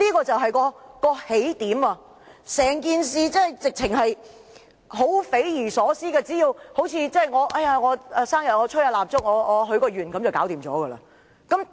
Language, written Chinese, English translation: Cantonese, 整件事相當匪夷所思，好像生日時吹蠟燭許個願便可成真般。, The whole thing is as intriguing as a wish came true after one blew out the candles on a birthday cake